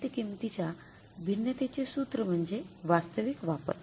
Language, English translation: Marathi, The formula for the material price variance is actual usage